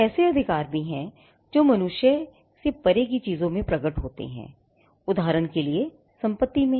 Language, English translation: Hindi, There are also rights that manifest in things beyond the human being; with in for example property